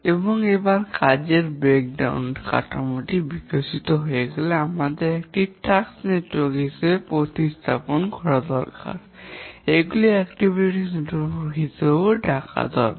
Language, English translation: Bengali, And once the work breakdown structure has been developed, we need to represent these in a task network, which are also called as activity network